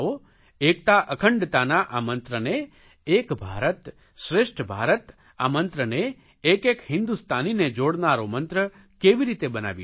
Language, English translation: Gujarati, How can we make this mantra of Ek Bharat Shreshtha Bharat One India, Best India that connects each and every Indian